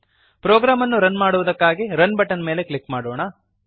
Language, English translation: Kannada, Let us click on Run button to run the program